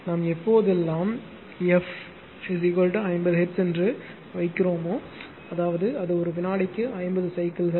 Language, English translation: Tamil, Whenever whenever we say whenever we say f is equal to f is equal to 50 hertz ; that means, it is 50 cycles per second right